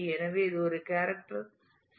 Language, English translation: Tamil, So, it is a is a character string